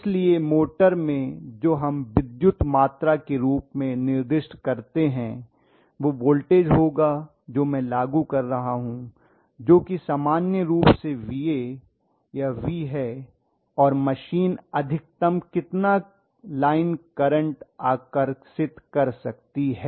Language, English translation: Hindi, So in the motor what we specify as electrical quantities will be what is the voltage I am applying that is VA or V in general and what is the maximum line current the machine can draw